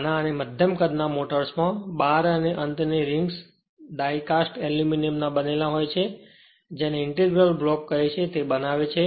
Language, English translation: Gujarati, In small and medium size motors, the bars and end rings are made of die cast aluminium moulded to form an in your what you call an integral block